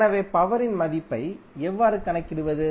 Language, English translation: Tamil, So, how will calculate the value of power